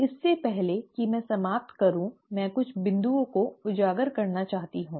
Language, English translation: Hindi, Before I wind up, I just want to highlight few points